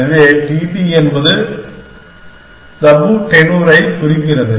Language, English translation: Tamil, So, t t stands for tabu tenure